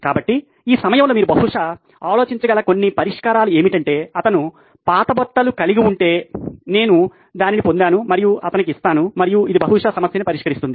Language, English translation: Telugu, So, some of the solutions that you can probably think of at this moment is that well if he has old clothes, I would just get that and give it to him and that will probably solve the problem